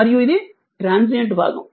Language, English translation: Telugu, And this part is a transient part